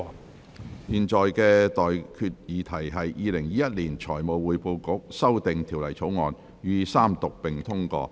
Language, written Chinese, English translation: Cantonese, 我現在向各位提出的待議議題是：《2021年財務匯報局條例草案》予以三讀並通過。, I now propose the question to you and that is That the Financial Reporting Council Amendment Bill 2021 be read the Third time and do pass